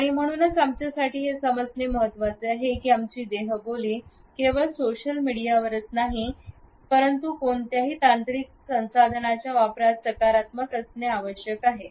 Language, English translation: Marathi, And therefore, it is important for us to understand that our body language not only on social media, but in the use of any technological resources should be positive